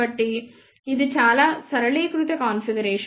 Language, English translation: Telugu, So, it is a very very simplified configuration